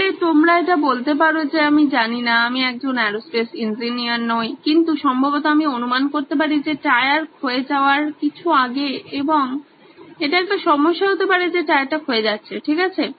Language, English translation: Bengali, So you can do this say I don’t know I am not an aerospace engineer but probably I am guessing probably few times before the tyre wears out and this could be a problem of the tyre wearing out, okay